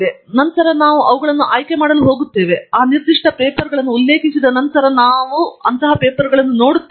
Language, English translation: Kannada, And then, we are going to pick them, and then, we will see which of the papers after those have cited those particular papers